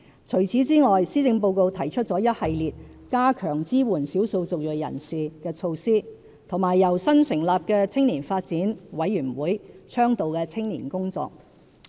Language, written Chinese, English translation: Cantonese, 除此之外，施政報告提出了一系列加強支援少數族裔人士的措施和由新成立的青年發展委員會倡導的青年工作。, In addition this Policy Address proposes a series of initiatives to strengthen support for ethnic minorities and the work on youth advocated by the new Youth Development Commission